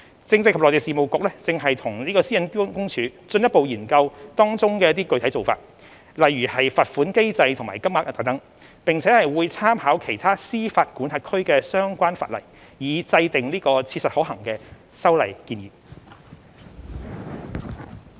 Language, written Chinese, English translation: Cantonese, 政制及內地事務局正與私隱公署進一步研究當中的具體做法，如罰款機制及金額等，並會參考其他司法管轄區的相關法例，以制訂切實可行的修例建議。, CMAB is further studying with PCPD the precise arrangements involved such as the penalty mechanism and level of fine and will make reference to relevant laws in other jurisdictions with a view to devising practicable legislative proposals